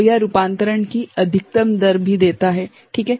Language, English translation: Hindi, So, that and it also gives a maximum rate of conversion ok